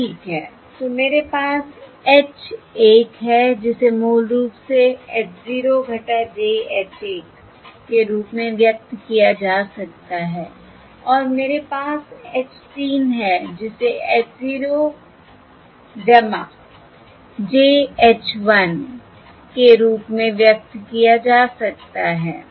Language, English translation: Hindi, all right, So I have H 1, which can basically be expressed as h 0 minus j h 1, and I have H 3, which can be expressed as h 0 plus j h 1